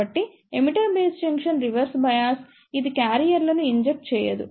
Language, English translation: Telugu, Since, the emitter base junction is reverse bias it does not inject careers